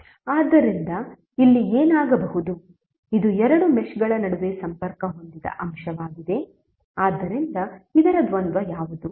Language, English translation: Kannada, So, what will happen here this is the element which is connected between two meshes, so the dual of this would be what